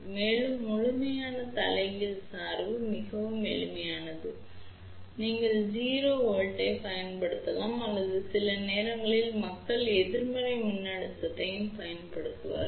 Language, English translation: Tamil, And, complete reverse bias is very simple you can just apply 0 volt or sometimes people do apply negative voltage also